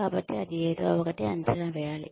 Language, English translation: Telugu, So, that is something, one needs to assess